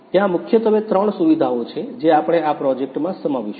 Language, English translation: Gujarati, There are mainly actually three features that we will we have included in this project